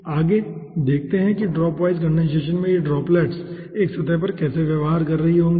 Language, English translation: Hindi, next let us see that how these ah droplets in dropwise condensation will be behaving over a surface